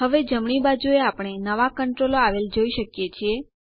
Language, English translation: Gujarati, Now on the right we see new controls